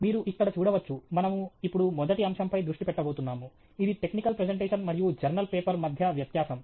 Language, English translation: Telugu, You can see here, we are now going to focus on the first point, which is technical presentation versus journal paper